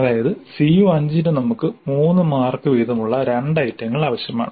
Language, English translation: Malayalam, That means for CO5 we need two items three marks each